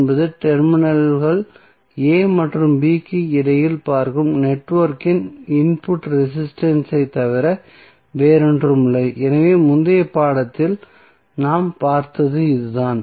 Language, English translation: Tamil, R N would be nothing but input resistance of the network looking between the terminals a and b so that is what we saw in the previous figure